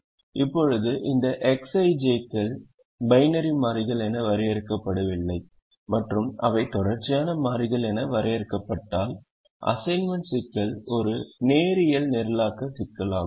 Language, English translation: Tamil, now if these x i j's are not defined as binary variables and if they are defined as continuous variables, then the assignment problem is a linear programming problem